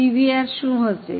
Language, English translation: Gujarati, What will be the PBR